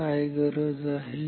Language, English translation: Marathi, What is the requirement